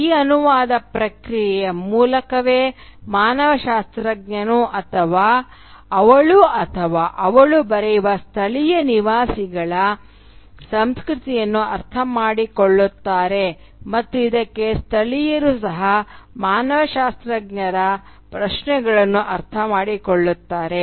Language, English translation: Kannada, And it is through this process of translation that the anthropologist understands the culture of the native inhabitants about which he or she writes and also vice versa, the natives also understand the questions of the anthropologist for instance